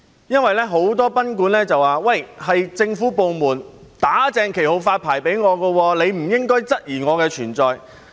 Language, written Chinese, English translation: Cantonese, 由於很多賓館表示："是政府部門'打正旗號'發牌給我，你不應該質疑我的存在"。, Since many guesthouse operators said You should not question my presence as we are officially licensed by the Government